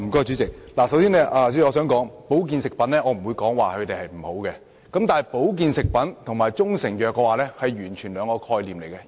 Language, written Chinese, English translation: Cantonese, 主席，首先，我不會說保健食品不好，但保健食品和中成藥完全是兩種概念。, President first of all I would not say that health food products are bad but health food products and proprietary Chinese medicines are two different concepts